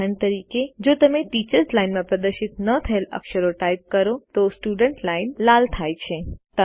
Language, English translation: Gujarati, For example, when you type a character that is not displayed in the Teachers Line, the Student line turns red